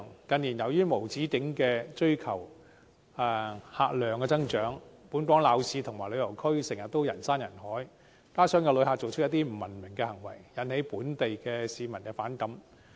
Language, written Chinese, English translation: Cantonese, 近年，由於無止境地追求客量增長，本港鬧市和旅遊區經常人山人海，加上有些旅客的不文明行為，令本地市民產生反感。, In recent years owing to the endless pursuit of visitor growth the busy urban areas and tourist districts were often packed with people and coupled with the uncivilized behaviours of some visitors resentment among local people had been aroused